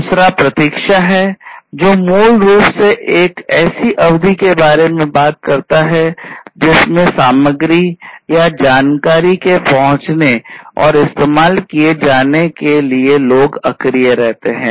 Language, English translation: Hindi, Second is the waiting the waiting time, which is basically talking about the period of inactivity or people for material or information to arrive or to be able to use